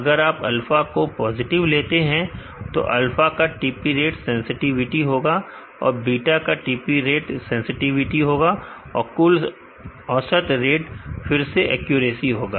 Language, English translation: Hindi, If you consider alpha is positive TP rate of alpha will be a sensitive and TP rate of beta will be the sensitivity and, the total weighted average will also again be the accuracy